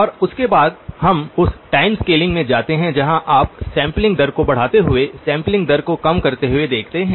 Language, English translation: Hindi, And after that we move into the time scaling where you look at either increasing the sampling rate or decreasing the sampling rate